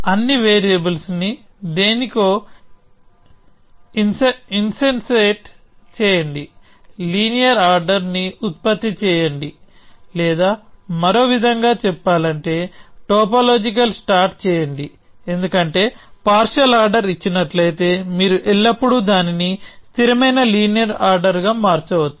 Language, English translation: Telugu, Insensate all variables to something, produce a linear order or in other words do a topological sort, because given a partial order, you can always convert it to a consistent linear order